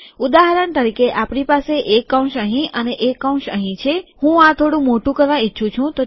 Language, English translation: Gujarati, For example, we have a bracket here and a bracket here, I want to make this slightly bigger